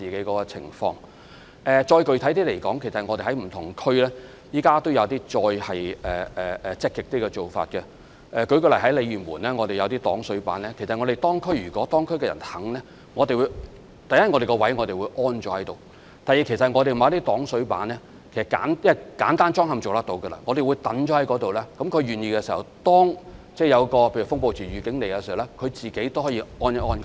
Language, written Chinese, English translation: Cantonese, 具體一點地說，我們現時在不同地區也有一些更積極的做法，例如在鯉魚門便設有一些擋水板，如果當區居民願意，第一，我們是會安裝在指定位置；第二，這些擋水板只須簡單安裝，所以，我們會把它們放置在區內，如果居民願意，例如當發出風暴潮預警時，他們便可以自行安裝。, In more specific terms we have adopted more proactive practices in various districts . In Lei Yue Mun for instance we have placed some water - stop boards there so that firstly we will install them at designated locations if the residents so wish and secondly as these water - stop boards can be installed easily we will place them in the districts for installation by the residents themselves if they so wish when say a warning of storm surge is issued